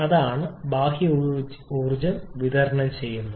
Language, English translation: Malayalam, We have to supply external energy